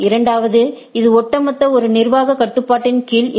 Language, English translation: Tamil, And secondly, this is not under a single administrative control overall right